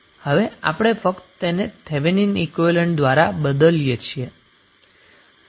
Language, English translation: Gujarati, We are just simply replacing it with the Thevenin equivalent